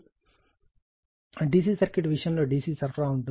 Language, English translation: Telugu, In the case of D C circuit, because in D C supply